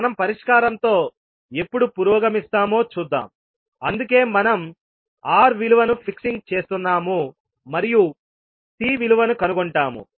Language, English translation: Telugu, Why we will fix that value, we will see that when we will progress with the solution, that why we are fixing value of R and finding out value of C